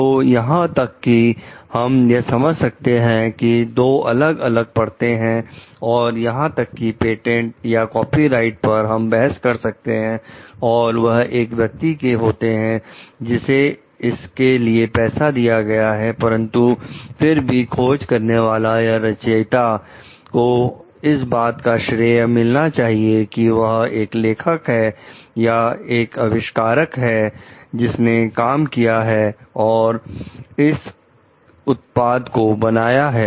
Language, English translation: Hindi, So, even we can understand there are two different layers over here, even if the patent or the copyright we can argue it belongs to the person, who has paid for it, but still the inventor or the author deserved the due credit as the author or the inventor who has like as a creator of that product